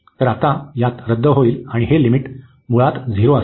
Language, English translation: Marathi, So, now in these will cancel out, and this limit will be 0 basically